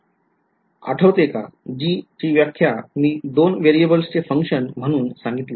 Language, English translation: Marathi, g; g remember I have defined as a function of two variables right